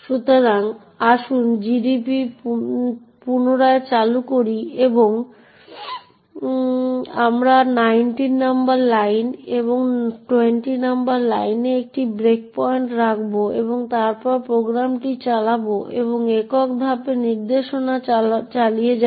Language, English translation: Bengali, put a breakpoint in line number 19 and also a breakpoint in line number 20 and then run the program and this single step instruction